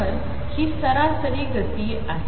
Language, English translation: Marathi, So, this is average momentum